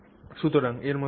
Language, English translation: Bengali, So, something like this